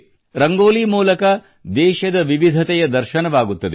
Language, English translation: Kannada, The diversity of our country is visible in Rangoli